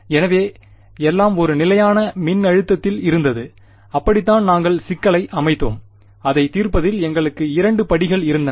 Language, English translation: Tamil, So, everything was at a constant voltage and that is how we had set the problem up and in solving it we had two steps right